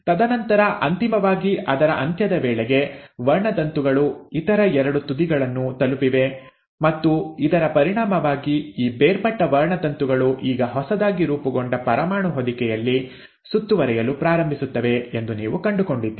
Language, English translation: Kannada, And then finally, by the end of it, the chromosomes have reached the other two ends and as a result, you find that these separated chromosomes now start getting enclosed in the newly formed nuclear envelope